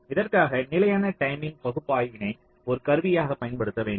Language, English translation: Tamil, so for this we need to use static timing analyzer as a tool